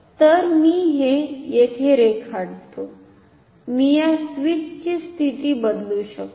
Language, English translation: Marathi, So, let me draw this here so, I can change the position of this switch